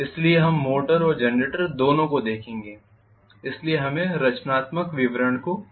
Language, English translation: Hindi, So we will look at both motor and generator, so we should look at the constructional details